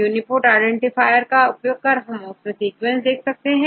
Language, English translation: Hindi, Either you give the UniProt identifier or you can give your sequence